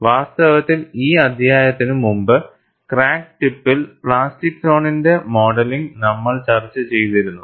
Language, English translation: Malayalam, And, in fact, before this chapter, we had also discussed modeling of plastic zone at the crack tip